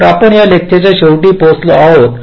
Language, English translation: Marathi, ok, so with this we come to the end of this lecture